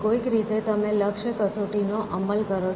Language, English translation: Gujarati, Somehow you implement the goal test